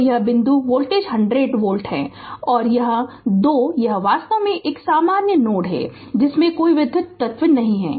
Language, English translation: Hindi, So, this point voltage is 100 volt right and this 2 this this is actually a common node no electrical element is there